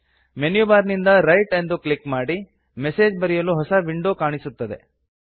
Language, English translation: Kannada, From the Menu bar, click Write.The New Message window appears